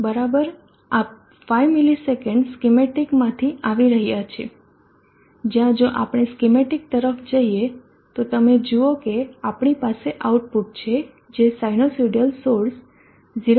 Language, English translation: Gujarati, net into this okay this 5 milliseconds is coming from the schematic where if we go to the schematic you see that we have an output which is a sinusoidal source 0to 0